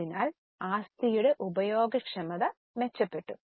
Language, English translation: Malayalam, So the efficiency of use of asset has improved